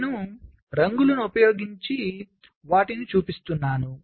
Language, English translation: Telugu, so i am showing them using colours